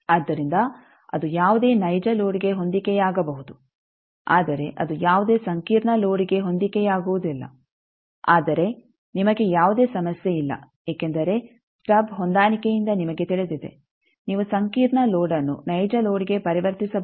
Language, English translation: Kannada, So, it can match any real load, but it cannot match any complex load, but you do not have any problem because you know by those stub matching you can make complex load can be converted to real load